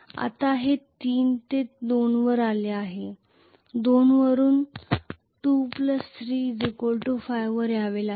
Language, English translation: Marathi, Now it has come to 3 to 2 from 2 it has to come to 5 2 plus 3 5